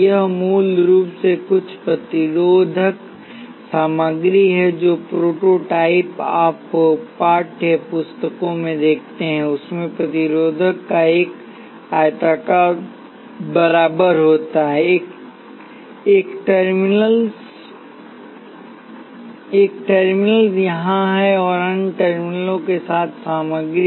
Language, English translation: Hindi, It is basically some resistive material, the prototype that you see in text books consists a rectangular bar of resistive material with one terminal here and other terminal there